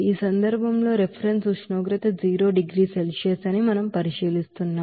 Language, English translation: Telugu, In this case we are considering that reference temperature is zero degree Celsius